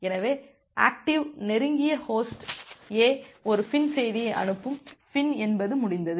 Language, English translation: Tamil, So, in case of active close Host A will send a FIN message FIN is the full form of finish